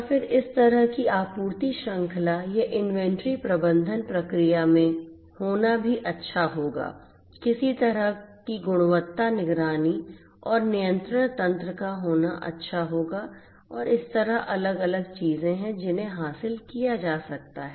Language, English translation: Hindi, And then it would also be nice to have in this kind of you know supply chain or inventory management process it would be also nice to have some kind of quality monitoring and control mechanism and like that you know so there are different different things that could be that could be achieved